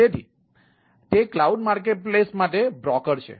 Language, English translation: Gujarati, so it is broker for cloud marketplace